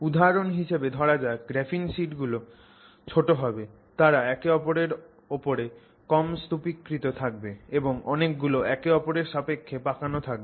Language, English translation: Bengali, So, for example the graphene sheets will be smaller, there will be less of them stacked on top of each other and then many of them will be twisted with respect to each other